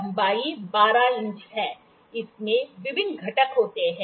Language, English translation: Hindi, The length is 12 inch; it is having various components